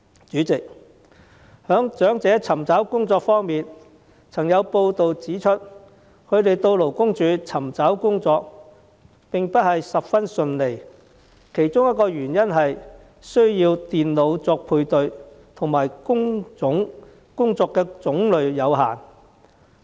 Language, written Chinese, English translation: Cantonese, 主席，在長者尋找工作方面，曾有報道指出，他們到勞工處尋找工作並不十分順利，其中一個原因是需要利用電腦作配對，亦因工作種類有限。, President as for elderly job seekers there were reports stating that it was not easy for them to land jobs through the Labour Department LD . One of the reasons is that the job matching process is done by the computer and another reason is the limited types of job openings available